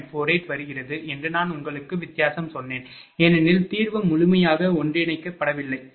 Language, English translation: Tamil, 48 I told you the difference is because, solution is not completely converged, right